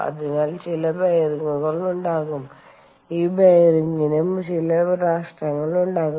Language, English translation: Malayalam, so there will be some bearings and this bearing will also have some losses